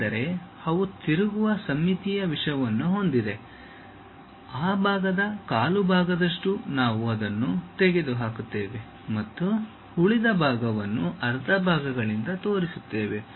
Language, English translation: Kannada, Because, they have rotationally symmetric thing, some one quarter of that portion we will remove it and show the remaining part by half sections